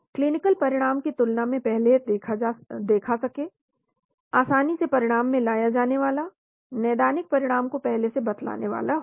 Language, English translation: Hindi, Observed earlier than clinical outcome, easily quantifiable, predicts clinical outcome